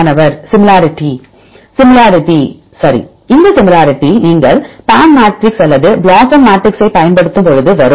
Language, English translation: Tamil, Similarity right similarity from the matrix you use either the PAM matrix or BLOSUM matrix